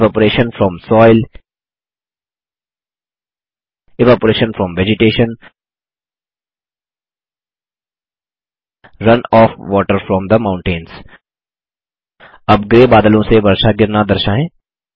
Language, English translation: Hindi, Evaporation from soil Evaporation from vegetation Run off water from the mountains Lets show rain falling from the grey clouds